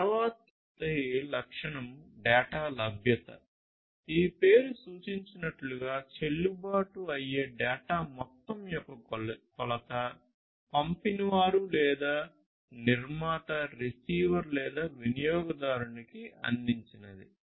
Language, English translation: Telugu, The next attribute is the data availability and availability as this name suggests it is a measurement of the amount of valid data provided by the by the sender or the producer to the receiver or the consumer